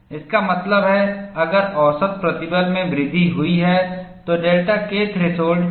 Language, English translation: Hindi, That means, if the mean stress is increased, the delta K threshold comes down